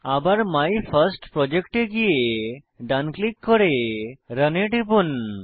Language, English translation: Bengali, Again, right click on MyFirstProject and then click on Run